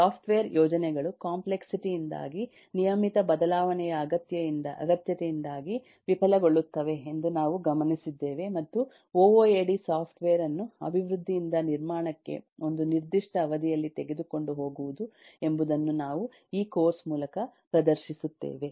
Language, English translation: Kannada, we have also observed that software projects fails due to complexity, due to regular need of change, and we have noted and this is what we will demonstrate through the course that ooad will take software from development to construction over a period of time